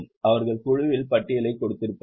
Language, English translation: Tamil, They would have given the list of the board